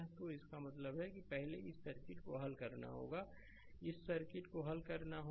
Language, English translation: Hindi, So, that means, first you have to solve this circuit right, you have to solve this circuit